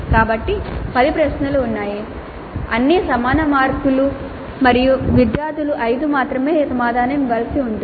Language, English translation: Telugu, The type 1 there are 8 questions, all questions carry equal marks, students are required to answer 5 full questions